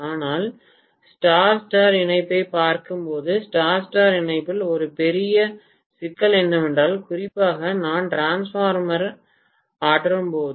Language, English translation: Tamil, But, when we look at star star connection we said that one of the major problems in star star connection is that especially when I am energizing the transformer